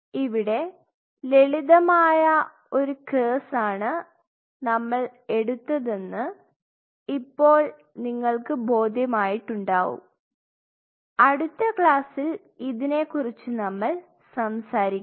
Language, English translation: Malayalam, So, you realize we took up a simple case will close in here in the next class we will talk about this